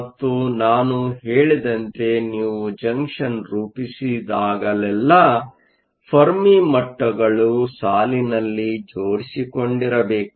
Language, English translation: Kannada, And, as I said that whenever you form a junction, the Fermi levels must line up